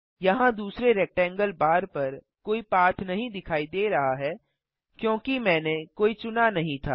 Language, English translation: Hindi, There is no path visible on the second rectangle bar because I did not select one